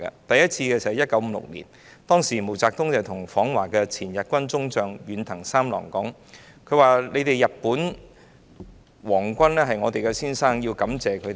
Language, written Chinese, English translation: Cantonese, 第一次是在1956年，當時毛澤東向訪華的前日軍中將遠藤三郎說："你們日本的皇軍也是我們的先生，我們要感謝你們。, The first time was in 1956 when MAO Zedong said to former Japanese Lieutenant General Saburo ENDO during his visit to China Japans Imperial Army is also our master and we must thank you